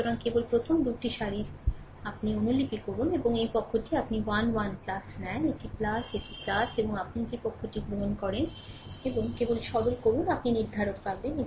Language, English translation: Bengali, So, just just copy the first 2 rows, and this side you take a 1 1 plus, it is plus, this is plus and this side you take minus, and just simplify you will get the determinant